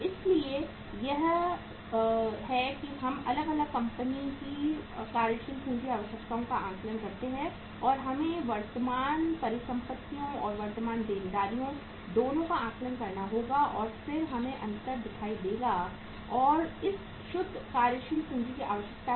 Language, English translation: Hindi, So this is how we assess the working capital requirements of the different company and we have to assess both the current assets and current liabilities and then we see the difference and that is the net working capital requirement